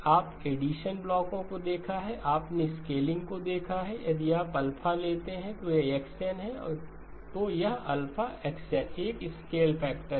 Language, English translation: Hindi, You encountered addition blocks, you encountered scaling if you take alpha if this is x of n, this is alpha times x of n a scale factor